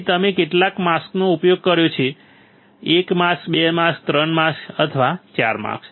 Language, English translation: Gujarati, So, how many mask you have used; 1 mask, 2 masks, 3 mask or 4 mask